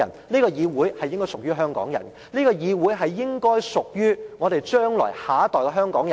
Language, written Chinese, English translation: Cantonese, 這個議會應該屬於香港人，這個議會應該屬於下一代的香港人。, The Legislative Council should belong to Hong Kong people as well as Hong Kong people of the next generation